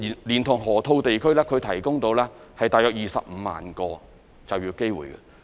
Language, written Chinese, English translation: Cantonese, 連同河套地區，可提供約25萬個就業機會。, In conjunction with the Lok Ma Chau Loop the area may provide 250 000 jobs